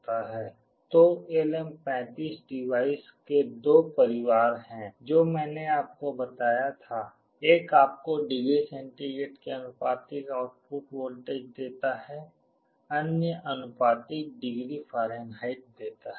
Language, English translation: Hindi, So, there are two families of LM35 device I told you, one gives you the output voltage proportional to degree centigrade other proportional to degree Fahrenheit